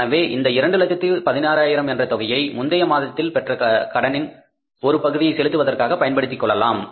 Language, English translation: Tamil, So, we will have to use this $216,000 for paying part of the borrowing which we made in the previous month